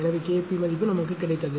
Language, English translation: Tamil, So, K p value we got